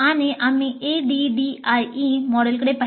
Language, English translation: Marathi, We took looked at one of the models ADI